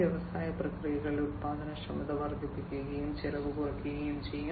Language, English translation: Malayalam, So, there is going to be increased productivity in the industrial processes, and cost reduction